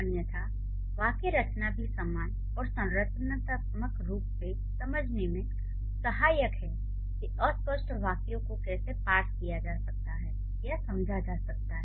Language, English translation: Hindi, Otherwise syntax is also equally helpful to understand how the structurally ambiguous sentences can be parts or can be understood